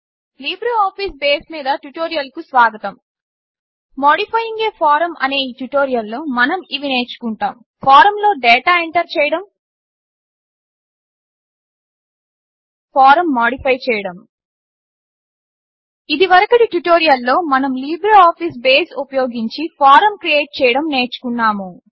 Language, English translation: Telugu, In this tutorial on Modifying a Form, we will learn how to Enter data in a form, Modify a form In the previous tutorial, we learnt to create a form using LibreOffice Base